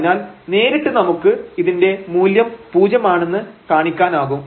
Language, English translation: Malayalam, So, directly we can show that this value is 0